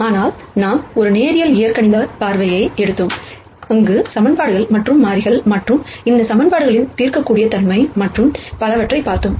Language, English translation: Tamil, But we took a linear algebraic view where we looked at equations and variables and solvability of these equations and so on